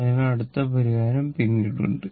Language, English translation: Malayalam, So, next solution is there later right